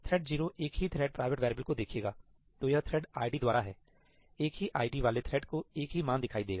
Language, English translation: Hindi, Thread 0 will see the same thread private variable; so it is by the thread id; the same thread having the same id will see the same value